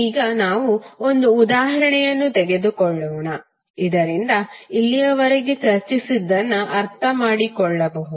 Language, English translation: Kannada, Now, let us take one example so that you can understand what we discuss till now